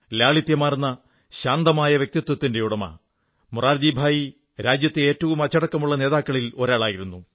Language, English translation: Malayalam, A simple, peace loving personality, Morarjibhai was one of the most disciplined leaders